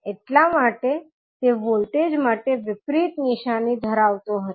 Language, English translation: Gujarati, That is why it was having the opposite sign for voltage